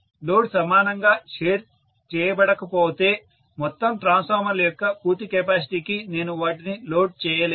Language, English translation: Telugu, If the load is shared not equally, then I will not be able to load them to the fullest capacity of the total transformers put together